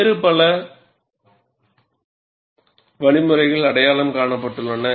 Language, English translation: Tamil, Several models have been proposed